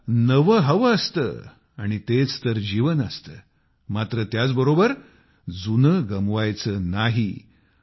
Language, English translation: Marathi, We have to attain the new… for that is what life is but at the same time we don't have to lose our past